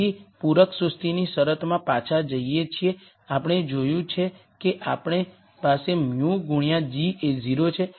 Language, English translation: Gujarati, So, going back to the complementary slackness condition we saw that we will have mu times g is 0